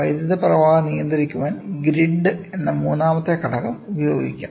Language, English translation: Malayalam, A third element called the grid can be used to control the flow of current